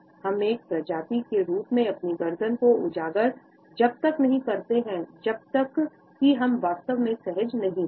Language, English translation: Hindi, We as a species do not expose our necks, unless we were really comfortable